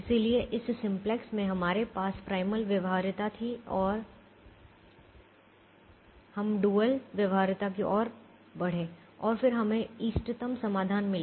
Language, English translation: Hindi, so in this simplex we had primal feasibility and we move towards dual feasibility